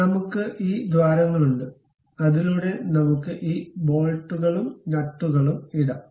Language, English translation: Malayalam, So, we have these holes through which we can really put these bolts and nuts